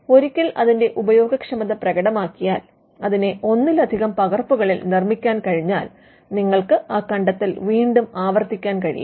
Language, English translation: Malayalam, Because once there is usefulness demonstrated, and it can be made in multiple copies, you can replicate the invention, why would you replicate an invention in multiple copies